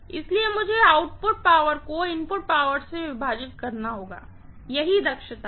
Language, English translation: Hindi, So, I have to say output power divided by input power, this is what is efficiency, right